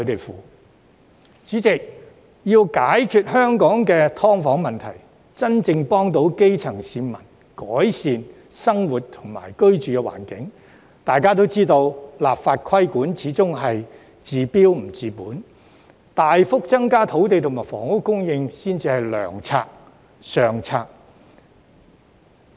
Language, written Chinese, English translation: Cantonese, 代理主席，要解決香港的"劏房"問題，真正幫助基層市民改善生活和居住環境，大家也知道立法規管始終是治標不治本，大幅增加土地及房屋供應才是良策、上策。, Deputy President we all know that when it comes to addressing the problem of subdivided units in Hong Kong and genuinely helping grass - roots people to improve their living conditions and environment legislating for the regulation of malpractices is after all a temporary solution rather than a permanent cure while substantially increasing land and housing supply is the best and the most effective remedy